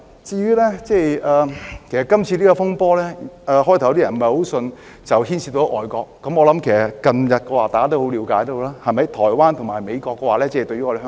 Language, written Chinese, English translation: Cantonese, 這次風波，最初有些人不太相信牽涉外國，我相信近日大家都已了解到，台灣和美國非常關心香港。, Initially some people do not believe that this turmoil involves any foreign country . I believe that recently we have come to learn that Taiwan and the United States are very concerned about Hong Kong